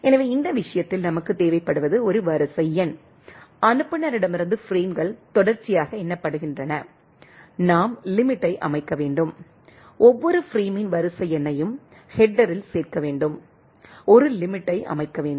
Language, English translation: Tamil, So in this case, what we require is a sequence number right, frames from a sender are numbered sequentially, we need to set the limit since, we need to include the sequence number of each frame in the header, set a limit